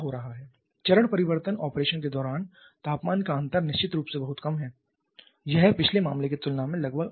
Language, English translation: Hindi, Now what is happening here the temperature difference during the phase change operation is definitely much smaller it is almost half compared to the previous case